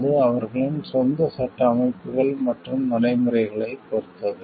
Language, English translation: Tamil, Will depends on their own legal systems and practices